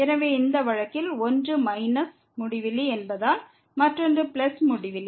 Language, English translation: Tamil, So, in this case since one is minus infinity another one is plus infinity